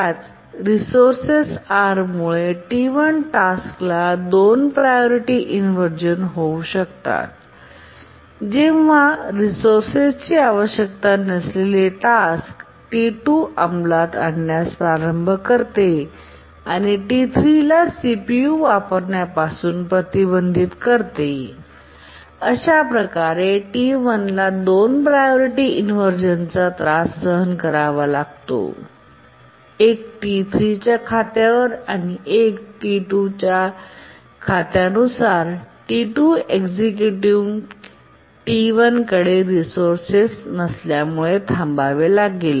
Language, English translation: Marathi, Due to the same resource are, the task T1 can suffer two priority inversion when the task T2 which does not need the resource starts executing and preempts T3 from using the CPU and therefore T1 suffers two priority inversion one on account of T3 and the other on account of T2 because T2 is executing and T3 T1 would be waiting because it doesn't have the resource and T3 is holding the resource and not being able to execute because T2 has started executing